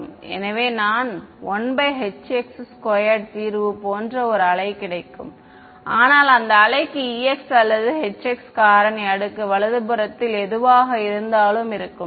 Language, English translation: Tamil, So, I will get a wave like solution, but that wave will have that that factor of E x or H x whatever in the exponent right